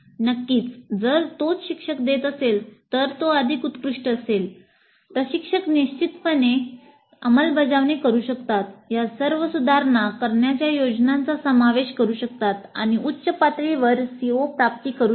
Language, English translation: Marathi, Of course if the same instructor is offering it is all the more great the instructor can definitely implement incorporate all these improvement plans and achieve higher levels of CO attainment